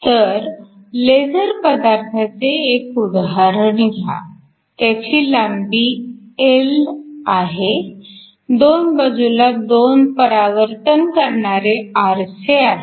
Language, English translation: Marathi, So, consider the case of a laser material of length L, there are 2 reflecting mirrors on either sides